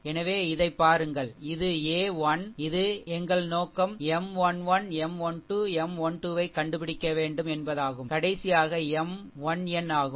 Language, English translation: Tamil, So, look at that, this this one ah this one this is a 1 our objective is have to find out M 1 1, M 1 2, M 1 3 and last one is that is your M 1 n